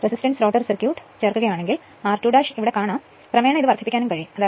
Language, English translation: Malayalam, If you add resistance rotor circuit then this is actually r 2 dash is here